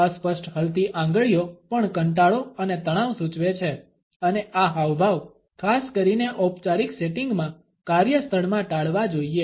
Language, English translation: Gujarati, Fidgeting fingers also indicate boredom and tension and these gestures should be avoided particularly in a workplace in a formal setting